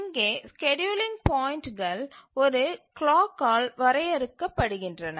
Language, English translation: Tamil, And here the scheduling points are defined by a clock